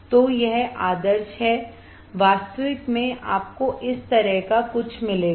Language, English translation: Hindi, So, this is ideal in actual you will get something like this alright